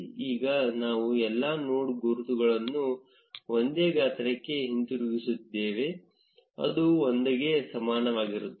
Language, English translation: Kannada, Now we have all the node labels back to the same size which is equal to 1